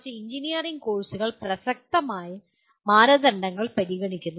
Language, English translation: Malayalam, Whereas a few engineering courses do consider relevant standards